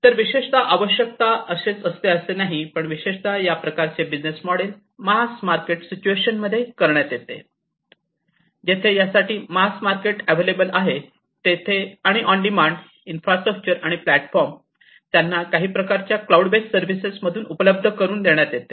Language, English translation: Marathi, So, typically this kind of typically, but not necessarily; this kind of business model is an adopted in mass market kind of situations, where you know there is a mass market, and on demand these infrastructures and the platforms could be made available, typically through some kind of cloud based service